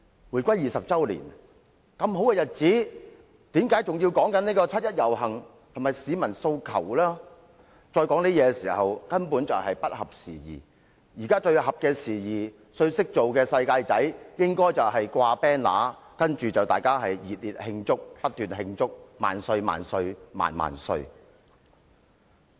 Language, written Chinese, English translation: Cantonese, 回歸20周年這麼好的日子，仍然談論七一遊行和市民訴求，根本是不合時宜，現時最懂得處事的"世界仔"應該掛橫額，不斷地熱烈慶祝，高呼"萬歲、萬歲、萬萬歲"。, The 20 anniversary of the reunification should be joyful and it is thus inopportune to keep talking about the 1 July march and peoples aspirations . On these days the worldly - wise guys should put up banners celebrate happily and chant slogans to glorify the reunification